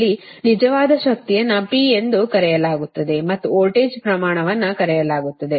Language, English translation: Kannada, right, here that real power is known, p is known and voltage magnitude is known